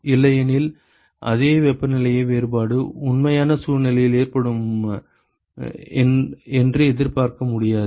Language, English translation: Tamil, Otherwise you cannot expect the same temperature difference to occur in a real situation